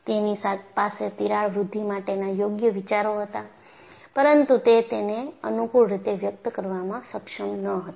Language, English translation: Gujarati, He had right ideas for crack growth, but he was not able to express it in a convenient fashion